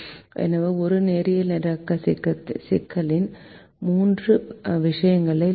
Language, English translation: Tamil, so let us consider this linear programming problem with two variables and two constrains